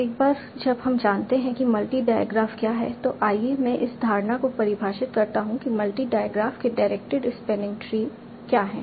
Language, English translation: Hindi, Now once we know what is a multi diograph, let me define the notion of what is a directed spanning tree of the multi diograph